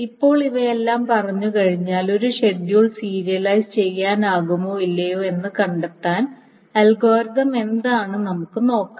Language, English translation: Malayalam, Now having said all of these things, let us see that how does the database find out or whether what is an algorithm to find out whether a schedule is serializable or not